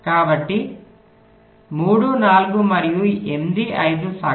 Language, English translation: Telugu, so three, four and eight, five are the mean